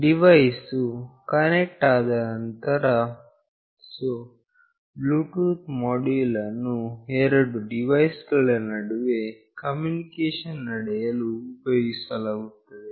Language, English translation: Kannada, Next when the device is connected, so the Bluetooth module will be used for communicating between two device